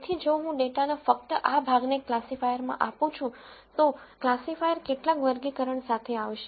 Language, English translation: Gujarati, So, if I just give this portion of the data to the classifier, the classifier will come up with some classification